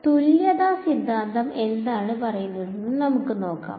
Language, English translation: Malayalam, So, let us look at what equivalence theorem say